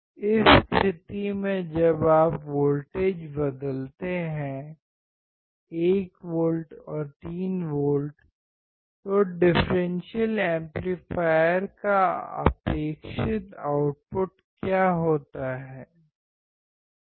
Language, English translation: Hindi, In this case when you change the voltages 1 volt and 3 volt, what is the expected output of the differential amplifier